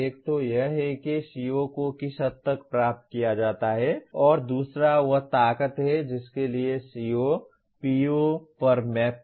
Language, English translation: Hindi, One is to what extent COs are attained and the other one is the strength to which that CO maps on to POs